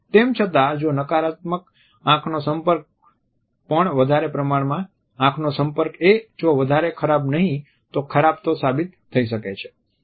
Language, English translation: Gujarati, However, if a negative eye contact is, but too much of an eye contact is equally bad if not worse